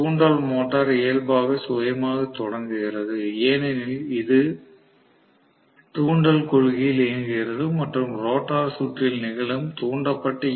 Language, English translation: Tamil, Induction motor is inherently self starting because it works on induction principle and the induced EMF that is happening actually in the rotor circuit is dependent upon the relative velocity